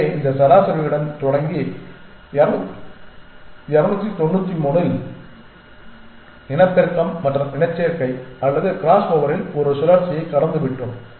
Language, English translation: Tamil, So, starting with this average of 293 we have gone through one cycle of reproduction and mating or in crossover and we have got a new population which is this